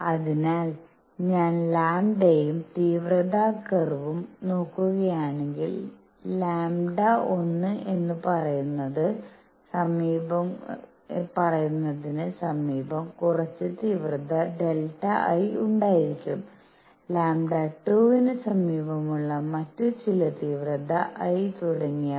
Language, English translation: Malayalam, So, if I look at lambda verses intensity curve, there would be some intensity delta I near say lambda 1; some other intensity I near lambda 2 and so on